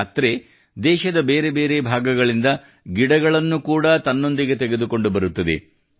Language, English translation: Kannada, This journey will also carry with it saplings from different parts of the country